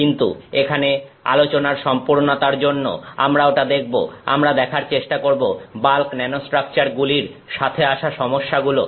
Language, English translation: Bengali, But we will see that for the sake of completeness here, look at some challenges involved in trying to come up with these kinds of bulk nanostructures